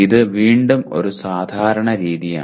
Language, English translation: Malayalam, This is once again a common practice